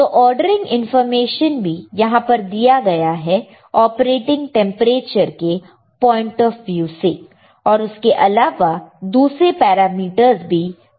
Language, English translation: Hindi, So, to the ordering information is also given as you can see here right from the temperature point of view from the operator temperature point of view, but there are other parameters also